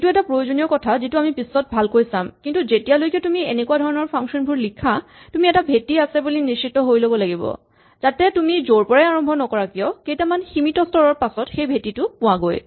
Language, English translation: Assamese, This is important and we will come back to this later but whenever you write a function like this, you have to make sure that there is a base case which will be reached in a finite number of steps no matter where you start